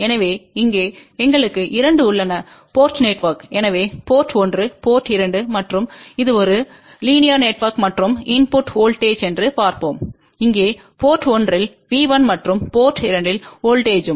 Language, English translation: Tamil, So, here we have a two port network, so port 1, port 2 and this is a linear network and let us see that the input voltage here at port 1 is V 1 and at port 2 voltage is V 2